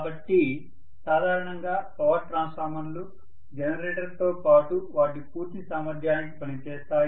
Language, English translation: Telugu, So power transformers will be functioning along with the generator to its fullest capacity normally